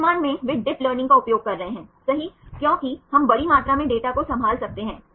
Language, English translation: Hindi, Currently they are using the dip learning right because we can handle large amount of data